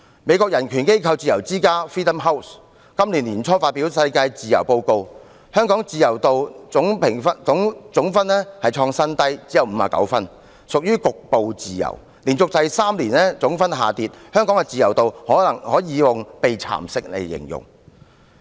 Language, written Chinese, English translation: Cantonese, 美國人權組織自由之家今年年初發表 "2018 年世界自由年度報告"，香港的自由總評分連續第三年下跌，今年再創新低，只有59分，屬於局部自由，香港的自由可以用"被蠶食"來形容。, According to the Freedom in the World 2018 report published early this year by Freedom House a human rights organization based in the United States Hong Kongs aggregate score of freedom in this year is only 59 a record low and a decline for the third year in a row and Hong Kong is only considered partly free . Freedom in Hong Kong can be described as being eroded